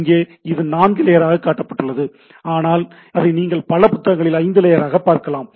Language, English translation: Tamil, Here it has been shown as a 4 layer, but it you can look it as a 5 layer in several references books and etcetera